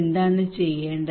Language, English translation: Malayalam, What is to be done